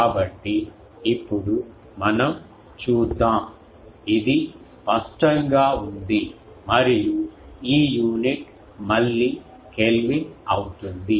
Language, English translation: Telugu, So, now, if we assume now let us see the, this is clear and this unit will be again the will be Kelvin